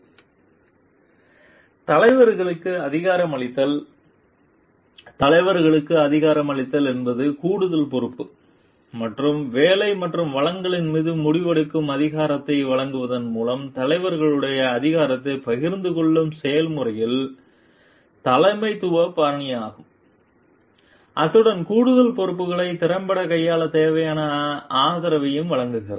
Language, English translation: Tamil, Empowering leaders; empowering leaders is the leadership style in process where leaders share power with employees by providing additional responsibility and decision making authority over work and resources, as well as support needed to handle the additional responsibilities effectively